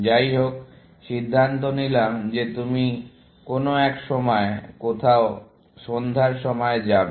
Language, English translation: Bengali, Anyhow, decided that you will go in sometime, somewhere, in the evening